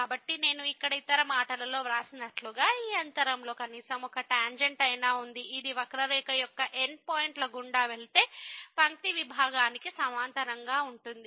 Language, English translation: Telugu, So, as I have written here in other words there is at least one tangent in this interval that is parallel to the line segment that goes through the end points of the curve